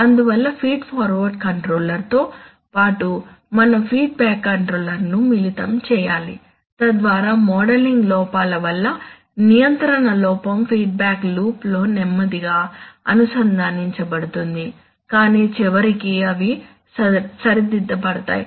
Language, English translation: Telugu, Therefore, we must combine a feedback controller along with the feed forward controller, so that the control error due to the modeling inaccuracies will be connected, corrected in the feedback loop slowly but eventually they will be corrected